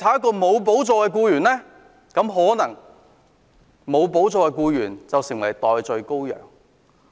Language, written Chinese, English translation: Cantonese, 沒有補助的僱員可能會成為"代罪羔羊"。, The employee ineligible for the subsidy may be made a scapegoat